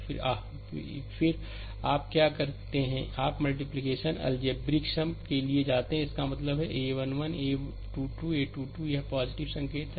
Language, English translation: Hindi, Then your ah, then what you do that you go for your multiplication algebraic sum algebraic sum means this this one a 1 1, a 2 2, a 3 3, this is plus sign